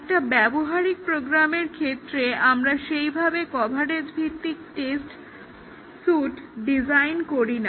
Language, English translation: Bengali, For a practical program, we do not really design coverage based test suites